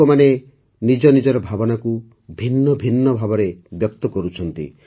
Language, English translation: Odia, People are expressing their feelings in a multitude of ways